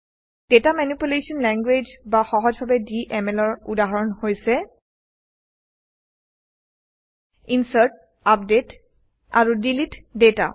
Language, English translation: Assamese, Examples of Data Manipulation Language, or simply DML are: INSERT, UPDATE and DELETE data